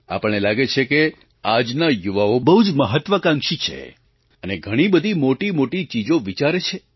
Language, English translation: Gujarati, We feel that the youths are very ambitious today and they plan big